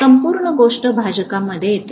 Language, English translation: Marathi, The whole thing comes in the denominator